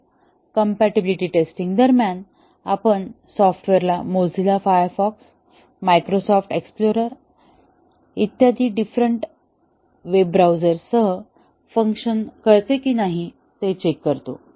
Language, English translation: Marathi, So, during compatibility testing we check whether the software works with various web browsers such as Mozilla Firefox, the Microsoft Explorer and so on